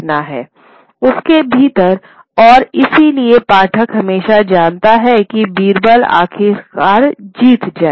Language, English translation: Hindi, Within that and therefore the reader always knows that Birbal is ultimately going to be vindicated